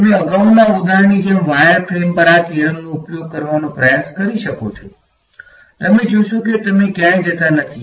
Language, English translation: Gujarati, You can try using applying this theorem on a wire frame like the previous example, you will find that you do not go anywhere